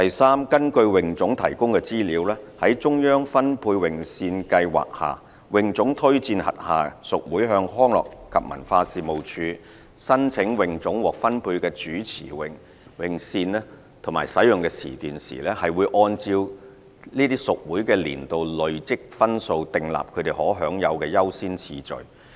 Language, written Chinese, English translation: Cantonese, 三根據泳總提供的資料，在中央分配泳線計劃下，泳總推薦轄下屬會向康樂及文化事務署申請泳總獲分配的主泳池泳線和使用時段時，會按照這些屬會的年度累積分數訂立他們可享有的優先次序。, 3 According to the information provided by HKASA it adopts an annual accumulative scoring system to determine the priority to be given to its affiliated clubs when recommending them to apply to the Leisure and Cultural Services Department for use of swimming lanes in main pools and sessions allocated to it under the Central Lane Allocation Scheme the Scheme